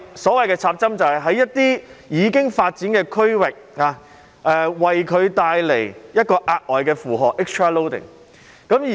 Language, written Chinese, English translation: Cantonese, 所謂"插針"，就是對已發展的區域帶來額外的負荷。, By infill it means it will bring an extra loading to a developed area